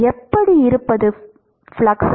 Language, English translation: Tamil, how was the how was the flux